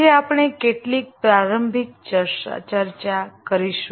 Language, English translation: Gujarati, Today we will have some introductory discussion